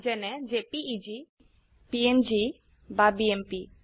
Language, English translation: Assamese, For eg jpeg, png or bmp